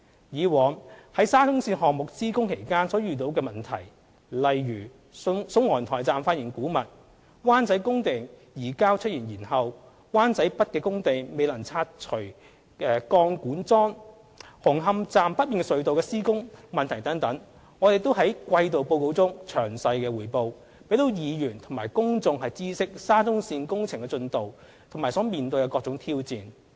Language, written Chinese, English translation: Cantonese, 以往在沙中線項目施工期間所遇上的問題，例如宋皇臺站發現古物、灣仔工地移交出現延後、灣仔北工地未能拆除鋼管樁、紅磡站北面隧道的施工問題等，我們亦在季度報告中詳細匯報，讓議員和公眾知悉沙中線工程的進度和所面對的各種挑戰。, Problems encountered while the works of the SCL project were in progress eg . discovery of relics at the Sung Wong Toi Station deferral of the handover date of the site in Wan Chai failure to remove the pipe pile at the site in Wan Chai North and works problems at the tunnel north of Hung Hom Station etc . have been reported in detail in the quarterly reports to inform Members of the progress of the SCL project and various challenges encountered